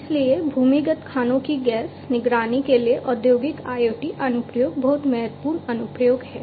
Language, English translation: Hindi, So, Industrial IoT applications for gas monitoring underground mines is very important application